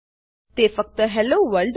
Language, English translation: Gujarati, Then it prints Hello World